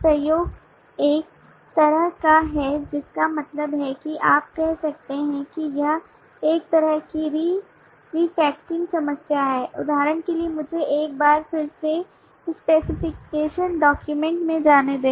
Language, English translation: Hindi, collaboration is kind of a i mean you can say it is a kind of re refactoring problem for example let me for once again go to the specification document